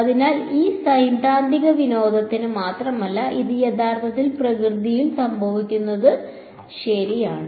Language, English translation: Malayalam, So, it is not just for theoretical fun its actually happening in nature these things ok